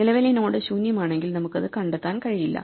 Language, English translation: Malayalam, So, if the current node is empty we cannot find it